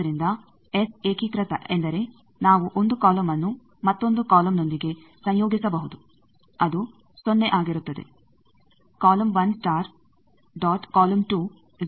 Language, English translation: Kannada, So, S unitary means we can have the one column conjugate with another column that will be 0